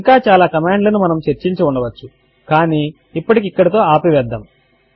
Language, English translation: Telugu, There are several other commands that we could have discussed but we would keep it to this for now